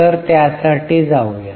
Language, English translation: Marathi, So, let us go for it